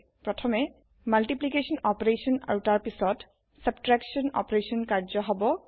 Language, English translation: Assamese, So the multiplication opertion is performed first and then subtraction is performed